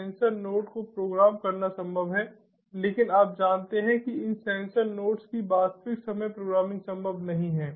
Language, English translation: Hindi, you know it is possible to program the sensor nodes, but you know, real time programming of these sensor nodes is not possible